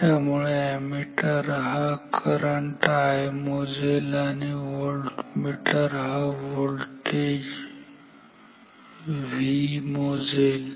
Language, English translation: Marathi, So, this ammeter will measure this current I and this voltmeter will measure this voltage call it V ok